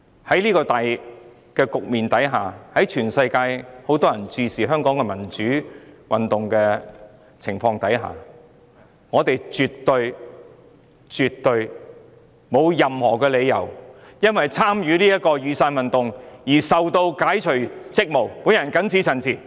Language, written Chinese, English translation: Cantonese, 在這個大環境下，當全世界均在注視香港民主運動的發展時，我們絕對沒有任何理由基於曾參與雨傘運動的原因，而解除一位議員的職務。, Under this macro - environment and when the whole world is eyeing on the development of the democratic movement in Hong Kong there is absolutely no reason for us to relieve a Member of hisher duties simply because of hisher participation in the Umbrella Movement